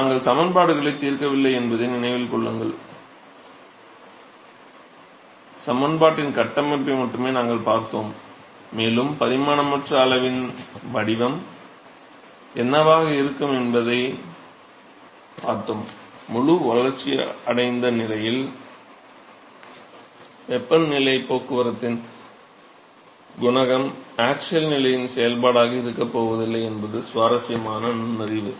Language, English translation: Tamil, So, note that we have not solved the equations, we have only looked at the structure of the equations and we have made we have looked at what is going to be the profile of the dimensionless quantity and from that we are able to look derive an interesting insight that the heat transport coefficient in the fully developed regime is not going to be a function of the axial position